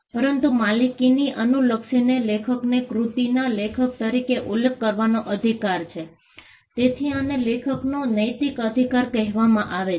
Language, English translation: Gujarati, But, regardless of the ownership, the author has a right to be mentioned as the author of the work; so, this is called the moral right of the author